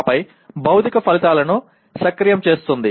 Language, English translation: Telugu, Then activating the physical outputs